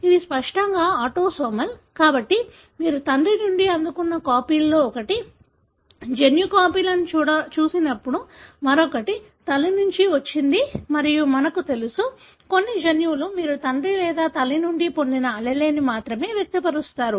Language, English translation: Telugu, These are autosomal obviously, therefore when you look into the gene copies one of the copy received from father, the other one has come from mother and we know, for certain genes only the allele that you received from father or mother would express